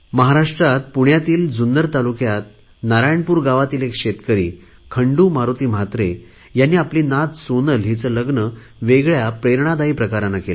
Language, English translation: Marathi, Shri Khandu Maruti Mhatre, a farmer of Narayanpur village of of Junner Taluka of Pune got his granddaughter Sonal married in a very inspiring manner